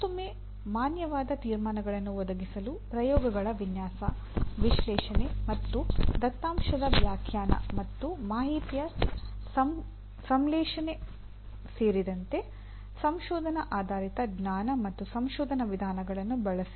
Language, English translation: Kannada, Again, use research based knowledge and research methods including design of experiments, analysis, and interpretation of data and synthesis of the information to provide valid conclusions